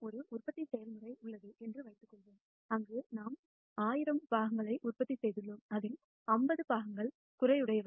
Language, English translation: Tamil, Suppose we have a manufacturing process where we actually have manufac tured 1,000 parts out of which 50 parts are defective